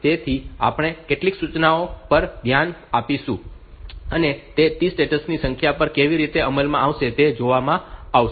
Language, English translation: Gujarati, So, we will look into some of the instructions, and how they are executed over number of T states